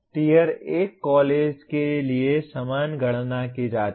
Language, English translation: Hindi, The same computations are done for Tier 1 college